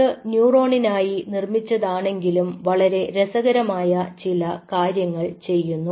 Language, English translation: Malayalam, crazily though it was made for neuron, but it does some very interesting stuff